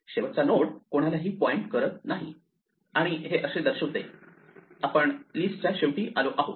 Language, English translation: Marathi, The final node points to nothing and that indicates we have reached the end of the list